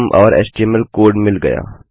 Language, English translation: Hindi, And here I have got some html code